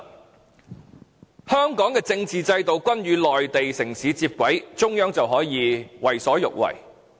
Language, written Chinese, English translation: Cantonese, 當香港的政治制度與內地城市接軌，中央便可以為所欲為。, When the political system of Hong Kong converges with that of the Mainland cities the Central Authorities will be free to do whatever they like